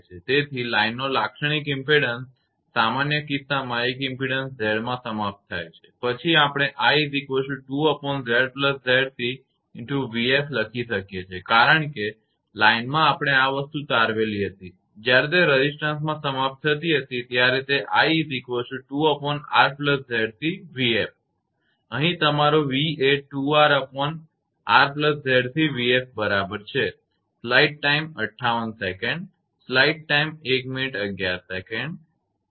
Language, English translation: Gujarati, So, in the general case of a line of characteristic impedance Z c terminated in an impedance Z then we can write i is equal to 2 upon Z plus Z c v f because when line was your this thing we have derived when it was terminating in the resistance that it was i is equal to 2 upon R plus Z c v f and here your v is equal to 2 R upon R plus Z c into v f